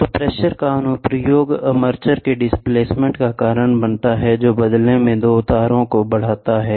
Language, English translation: Hindi, So, the application of pressure causes a displacement to the armature which, in turn, elongates two of the wires